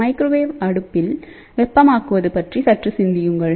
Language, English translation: Tamil, So, when we do the heating in a microwave oven